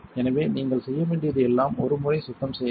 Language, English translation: Tamil, So, all you have to do is clean once